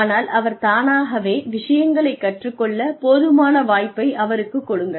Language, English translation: Tamil, And, but just give the learner, enough opportunity, to learn things on his or her own